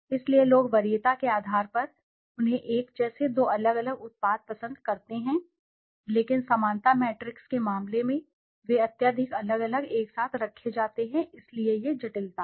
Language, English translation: Hindi, So people on basis of preference they like the same, two different products similarly, but in case of similarity matrix they are highly differently placed together, so that is the complexity